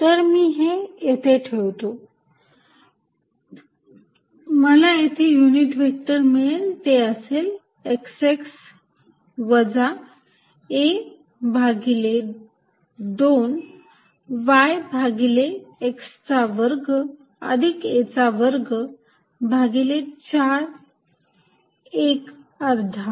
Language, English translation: Marathi, So, I put this here, I am going to get the unit vector x x minus a by 2 y divided by x square plus a square by 4 1 half